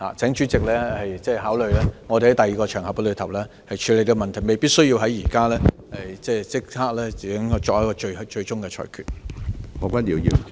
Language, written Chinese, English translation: Cantonese, 請主席考慮我們在另一個場合處理這個問題，未必需要現時立即作出最終的裁決。, I urge President to please consider handling this issue on another occasion . It is not absolutely necessary to make a final ruling right now